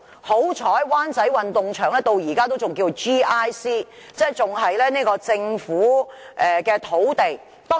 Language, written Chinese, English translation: Cantonese, 幸好，灣仔運動場到現在仍然屬於 "GIC" 用地，即仍是"政府、機構或社區"用地。, It is fortunate that the Wan Chai Sports Ground is still a Government Institution or Community site